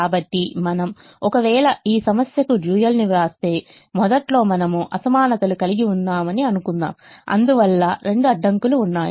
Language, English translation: Telugu, so if you write the dual to this problem initially, let's assume that you will be having inequalities